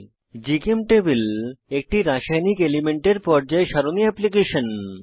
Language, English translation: Bengali, GChemTable is a chemical elements Periodic table application